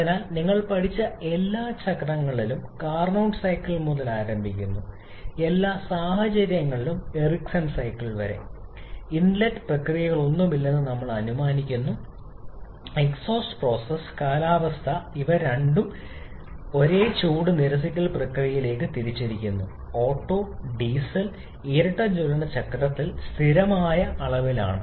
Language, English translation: Malayalam, So, in all the cycles that you have studied starting from Carnot cycle upto Ericsson cycle in all the cases, we are assuming that there are no inlet process and exhaust process weather those two has been clubbed into single heat rejection process, which is at constant volume in Otto, Diesel and dual combustion cycle